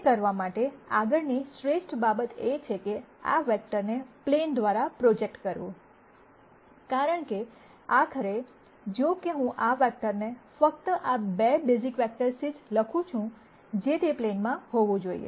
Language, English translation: Gujarati, It turns out the next best thing to do would be to project this vector onto the plane, because ultimately, however I write this vector with only this 2 basis vectors it has to be on the plane